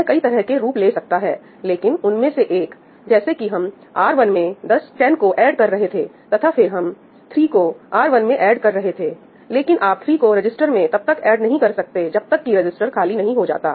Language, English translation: Hindi, This can take various forms, but one of them is, that, for instance over here we were adding 10 to R1 and then we were adding 3 to R1, but you could not add 3 to the register till that register was not free